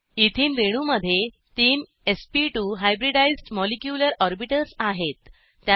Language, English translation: Marathi, Ethene molecule has three sp2 hybridized molecular orbitals